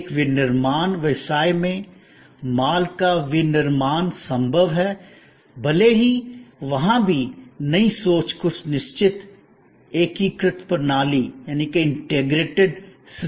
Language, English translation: Hindi, In a manufacturing business, goods manufacturing it is perhaps possible, even though there also, the new thinking look certain integrated system